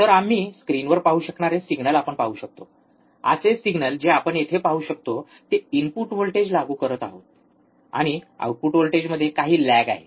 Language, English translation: Marathi, So, we can see the signals which we were able to look at the in on the screen, similar signal we can see here we are applying the input voltage, and there is some lag in the output voltage